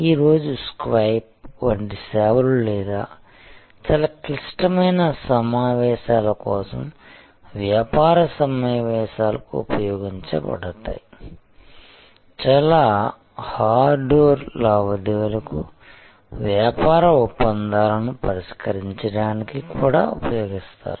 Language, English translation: Telugu, Today, services like Skype or be used for business conferences for very critical meetings, even often used for very hardcore transactions, fixing of business deals and so on